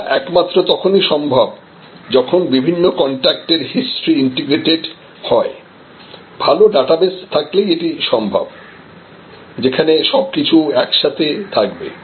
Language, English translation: Bengali, And that is only possible when there is an integration of the different types of contact history, which is only possible when there is a good database, where everything can come together